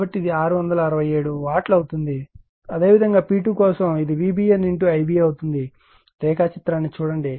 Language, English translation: Telugu, So, it is becoming 667 Watt; similarly for P 2 it will be V B N , into I b just look at the diagram